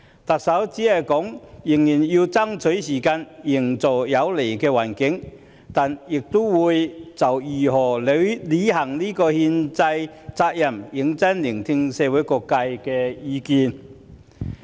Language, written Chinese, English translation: Cantonese, 特首說仍要爭取時間，營造有利的環境，但亦會就如何履行這項憲制責任，認真聆聽社會各界的意見。, The Chief Executive says that she will continue to make effort to create a favourable environment and will listen seriously to the views of all sectors in the community on how to fulfil this constitutional responsibility